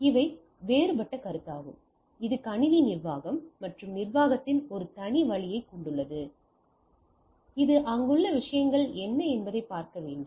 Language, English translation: Tamil, So, these are different consideration which has a separate way of system administration and management per say which need to look at that what are the things there